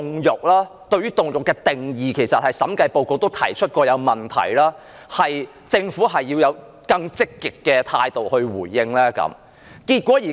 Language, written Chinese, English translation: Cantonese, 而對於凍肉的定義，其實審計署署長報告也曾提出問題，政府需要以更積極的態度來回應。, With regard to the definition of cold meat a Director of Audits report has raised queries and the Government should answer them more rigorously